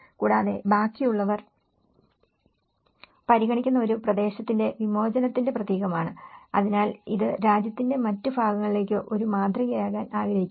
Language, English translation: Malayalam, Also, a symbol of emancipation for a region considered by the rest, so it want to be a model for the rest of the country